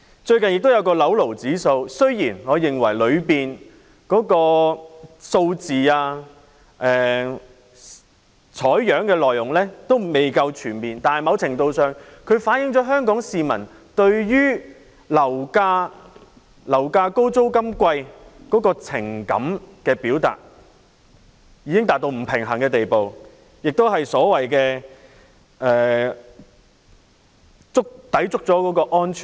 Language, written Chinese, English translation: Cantonese, 最近亦有一項"樓奴指數"，雖然我認為當中的數字、採樣的內容未夠全面，但某程度上反映了香港市民對於樓價高、租金貴的情緒，已經達到不平衡的地步，亦所謂抵觸了安全線。, Recently a property slaves index has been published . In my view the figures and data samples are not comprehensive enough . However the index has to a certain extent shown that the sentiment of Hong Kong people toward high property prices and expensive rentals have reached an imbalanced level breaching the so - called safety threshold